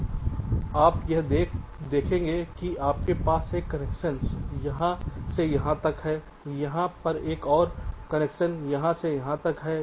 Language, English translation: Hindi, so you see, here you have one connection from here to here and there is a another connection from here to here